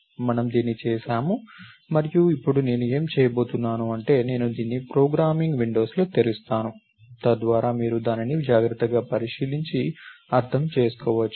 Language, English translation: Telugu, So, we do this and now what are I am going to do is we will look at, I will open it in the programming windows, so that you can look at it carefully and understand it